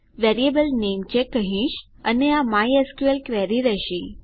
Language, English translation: Gujarati, I will call the variable namecheck and this will be a mysql query